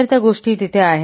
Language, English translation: Marathi, So those things are there